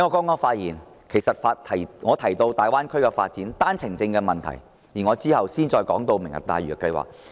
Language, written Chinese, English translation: Cantonese, 我在剛才的發言提到大灣區發展及單程證問題，在稍後的辯論環節也會談及"明日大嶼"計劃。, Having talked on the Greater Bay Area development and the issue of OWPs just now I will turn to the Lantau Tomorrow programme in the debate sessions later on